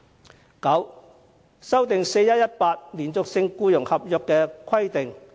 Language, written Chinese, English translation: Cantonese, 第九，修訂 "4-1-18" 連續性僱傭合約的規定。, Ninth amending the 4 - 1 - 18 requirement in relation to continuous contract of employment